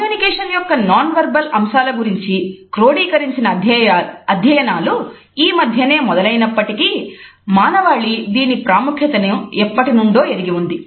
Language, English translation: Telugu, Even though the codified studies of nonverbal aspects of communication is started much later we find that mankind has always been aware of its significance